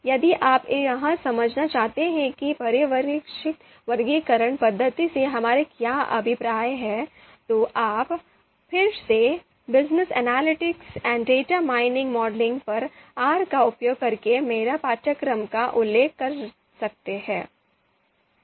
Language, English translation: Hindi, If you want to understand what we mean by supervised classification method, then again you can refer back to my course on ‘Business Analytics and Data Mining Modeling using R’